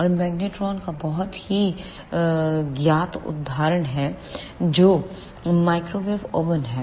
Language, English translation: Hindi, And there is a very known example of magnetron which is microwave oven